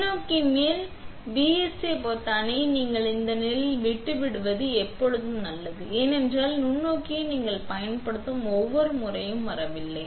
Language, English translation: Tamil, It is always good to leave it in the this position for the microscope up and the BSA button ON because that way the microscope does not come on and off every time you are using it